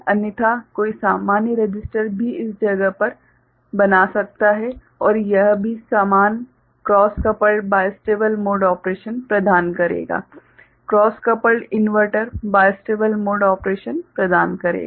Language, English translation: Hindi, Otherwise, one can make a normal resistor also in this place and this will also provide the same cross coupled bistable mode of operation, cross coupled inverters providing bistable mode of operation ok